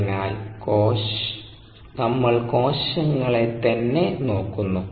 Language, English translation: Malayalam, therefore we are looking at cells themselves